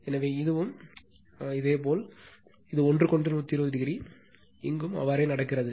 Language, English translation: Tamil, So, in this case you have 120 degree apart from each other